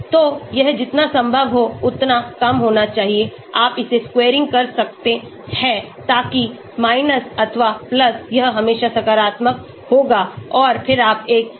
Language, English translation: Hindi, So this should be as low as possible, you are squaring it so that – or + it will always be positive and then you are taking a summation